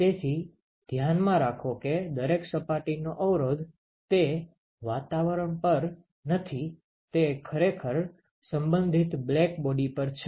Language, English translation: Gujarati, So, keep in mind that the resistance of every surface is not to it’s atmosphere; it is actually to it is corresponding black body